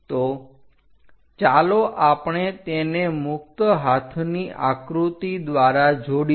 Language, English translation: Gujarati, So, let us join by freehand sketch